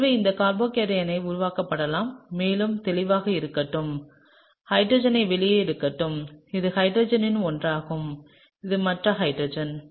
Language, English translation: Tamil, And so, this carbocation can be formed and let’s just to be sort of clear let me just draw out the hydrogens; this is one of the hydrogens, this is the other hydrogen